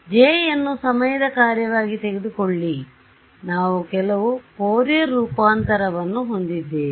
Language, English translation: Kannada, So, your J, let us just take it as a function of time right, we will have some Fourier transform right